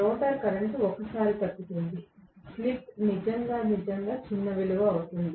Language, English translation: Telugu, The rotor current will get decreased once; the slip becomes really really a small value